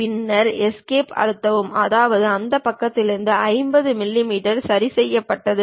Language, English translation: Tamil, Then press Escape; that means, 50 millimeters is fixed on that side